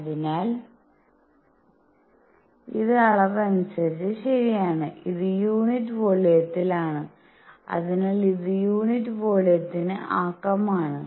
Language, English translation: Malayalam, So, this is dimensionally correct this is at per unit volume; so, this is momentum per unit volume